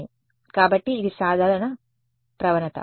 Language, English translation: Telugu, So, it's a simple gradient